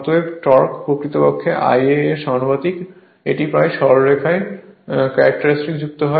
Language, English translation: Bengali, Therefore, torque actually proportional to I a; that means, it is almost straight line characteristic right